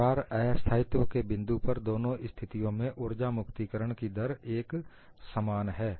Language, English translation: Hindi, At the point of crack instability, the energy release rate is same in both the cases